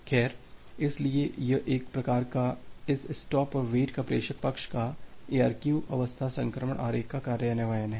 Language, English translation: Hindi, Well, so this is a kind of sender side implementation of this stop and wait ARQ algorithm in the form of a state transition diagram